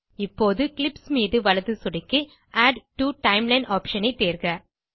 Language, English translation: Tamil, Now, right click on the clips and choose ADD TO TIMELINE option